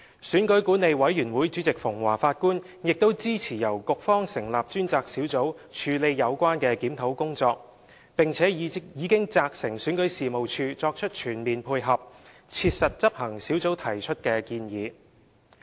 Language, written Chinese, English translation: Cantonese, 選舉管理委員會主席馮驊法官亦支持由局方成立專責小組處理有關檢討工作，並已責成選舉事務處作出全面配合，切實執行小組提出的建議。, Mr Justice Barnabas FUNG Chairman of the Electoral Affairs Commission also supports the setting up of a Task Force by the Bureau for a review and has instructed REO to render cooperation on all fronts and to strictly implement the suggestions to be made by the Task Force